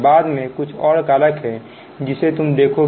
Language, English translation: Hindi, there are some more factors later you will see